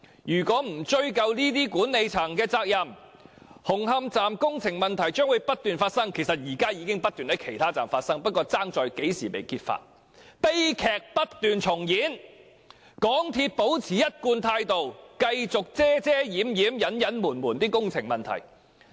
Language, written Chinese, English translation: Cantonese, 若不追究管理層的責任，紅磡站工程的同類問題將會不斷發生——其實現正不斷在其他車站發生，只是不知何時會被揭發——悲劇將會不斷重演，港鐵公司將會保持一貫態度，繼續遮掩隱瞞工程問題。, If the senior management is not held accountable construction problems similar to that of Hung Hom Station will continue to arise―actually they are constantly arising at other stations; we just do not know when they will be revealed―and tragedies will continue to recur as MTRCL will maintain the same attitude and continue to gloss over and cover up construction problems